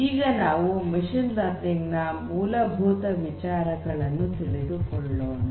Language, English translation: Kannada, So, let us first try to gets the ideas of the basics of machine learning